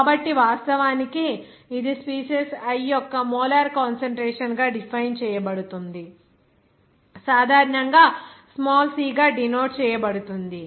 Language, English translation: Telugu, So, there it is actually defined that the molar concentration of species i, it is generally denoted by c, small c